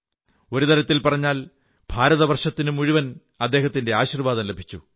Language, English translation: Malayalam, In a way, entire India received his blessings